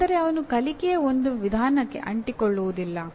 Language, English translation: Kannada, That means he does not stick to one way of learning